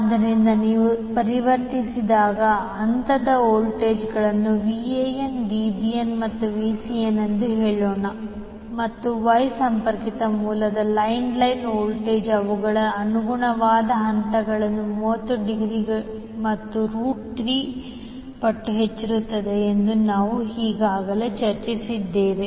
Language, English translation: Kannada, So when you convert, let us say that the phase voltages are Van, Vbn and Vcn and we have already discussed that line line voltage of Wye connected source leads their corresponding phase by 30 degree and root 3 times the magnitude